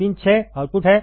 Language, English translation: Hindi, Pin 6 is the output